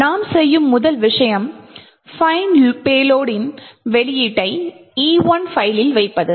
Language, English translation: Tamil, The first thing we do is to put the output from find payload into some file E1